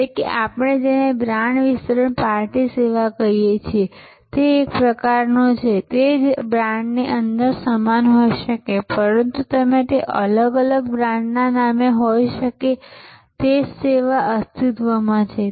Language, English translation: Gujarati, So, that is say kind of what we call brand extension party service, there can be with the same within the same brand, but you that can be different brand names, but same service existing service